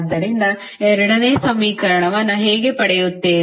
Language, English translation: Kannada, So, how we will get the second equation